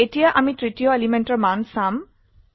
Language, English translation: Assamese, We shall now see the value of the third element